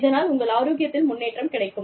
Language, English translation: Tamil, And, your health improves